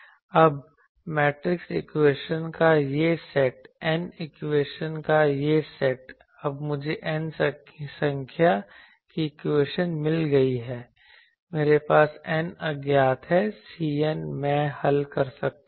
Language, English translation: Hindi, Now, this set of matrix equation this set of n equation now I have got n number of equations I have n unknown C n I can solve it